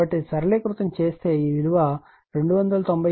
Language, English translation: Telugu, So, it will be , simplify it will be 297